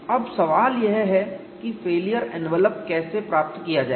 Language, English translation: Hindi, Now the question is how to get the failure envelop